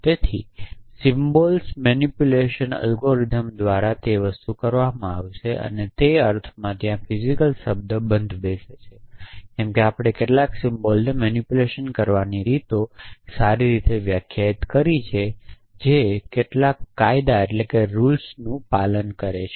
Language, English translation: Gujarati, So, manipulation of symbols would be done by algorithms and in that sense the word physical fits in there is that is that we have well defined ways of manipulating symbols which obey some laws